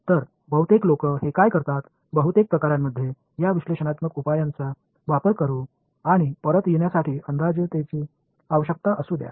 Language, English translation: Marathi, So for the most part what people do this, let us use these analytical solutions for most cases and make approximations were required to get back